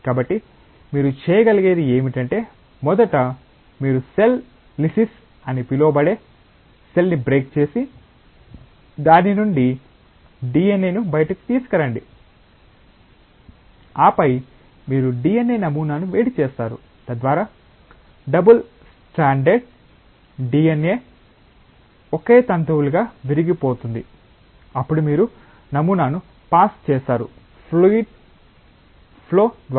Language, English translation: Telugu, So, what you can do is that first you break the cell which is called a cell lysis and bring the DNA out of it, and then you heat the DNA sample, so that double stranded DNA gets broken into single strands then you pass the sample through a fluid flow